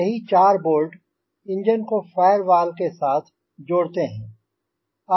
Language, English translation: Hindi, so these four bolts, they attach the engine to the firewall